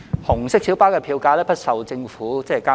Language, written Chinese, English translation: Cantonese, 紅色小巴的票價不受政府監管。, Red minibus fares are not subject to government regulation